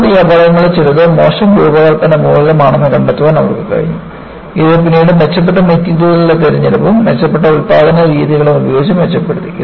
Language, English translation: Malayalam, And, they were able to trace out that some of these accidents were due to poor design, which was later improved by better choice of materials and improved production methods